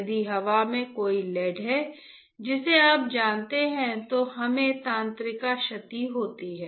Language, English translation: Hindi, If there is a lead in the you know in the air then we have a nerve damage